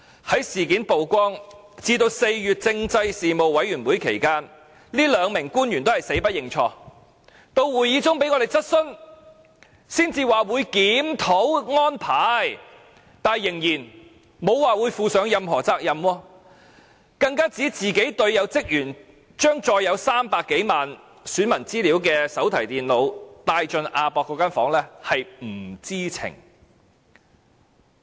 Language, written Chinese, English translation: Cantonese, 在事件曝光至4月政制事務委員會會議期間，這兩名官員仍是死不認錯，至會議中被我們質詢，才說會檢討安排，但仍然沒有表示會負上任何責任，更指職員將載有300多萬名選民資料的手提電腦帶進亞博館房間中，自己是不知情。, All the time from the revelation of the incident to the meeting of the Panel on Constitutional Affairs in April these two officials simply refused to admit their mistake . It was only when we kept questioning them in the meeting that they eventually agreed to review the arrangement . But they still did not say that they would assume any responsibility for the incident